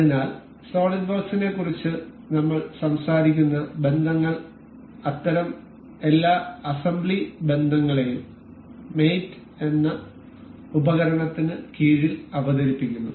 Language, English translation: Malayalam, So, the relations that we are talking about the SolidWorks features all such assembly relations under a tool called mate